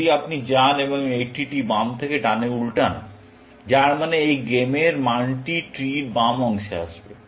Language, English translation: Bengali, If you go and flip this tree left to right, which means, this game value would come on the left part of the tree